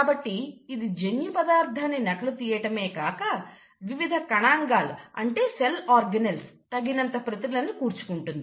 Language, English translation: Telugu, So it first duplicates its genetic material, it also tries to have sufficient copies of its various cell organelles